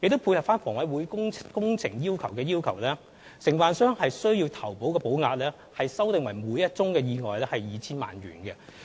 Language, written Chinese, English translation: Cantonese, 配合房委會工程的要求，承辦商的投保保額修訂為每宗意外 2,000 萬元。, In line with the requirements for HA works the required insurance coverage of DCs has been revised to 20 million per accident